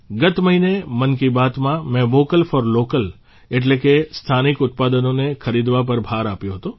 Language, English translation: Gujarati, Last month in 'Mann Ki Baat' I had laid emphasis on 'Vocal for Local' i